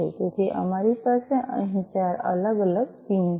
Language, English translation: Gujarati, So, we have four different pins over here